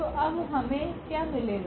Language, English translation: Hindi, So, what do we get now